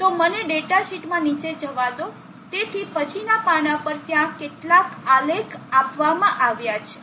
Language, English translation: Gujarati, So let me go down the data sheet, so on the next page there is couple of graphs given